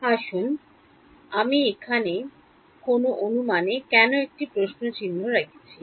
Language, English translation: Bengali, Let us why I have put a question mark over here any guesses